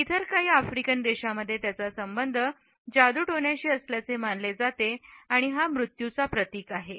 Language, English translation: Marathi, In certain other African countries, it is associated with witchcraft and symbolizes death